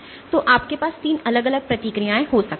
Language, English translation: Hindi, So, you might have 3 different responses